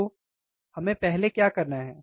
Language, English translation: Hindi, So, what we have to do first